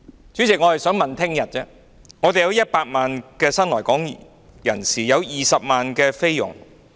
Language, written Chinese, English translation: Cantonese, 主席，我們現在有100萬名新來港人士和20萬名菲傭。, President we now have 1 million new arrivals and 200 000 Philippine domestic helpers in Hong Kong